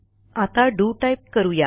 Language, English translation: Marathi, Now what we type is DO